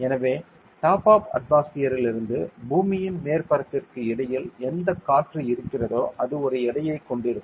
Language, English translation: Tamil, So, whatever air is there in between the top of the atmosphere to the surface of the earth will be causing a weight this will have a weight